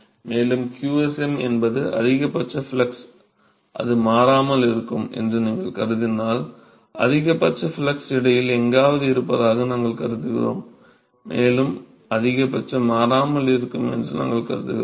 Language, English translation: Tamil, And if you assume that qsm which is the maximum flux and that remains constant, we assume that the maximum flux, maximum flux is present somewhere in between, and we assume that maxima remains constant